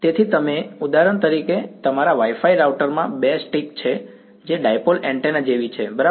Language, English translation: Gujarati, So, you are for example, your Wi Fi router has the two sticks right they are like dipole antennas right